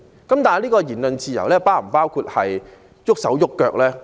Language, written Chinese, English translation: Cantonese, 但這種言論自由是否包括動手動腳呢？, But does it mean that one can resort to physical violence with such freedom of speech?